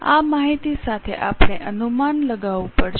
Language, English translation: Gujarati, With this information we have to make projections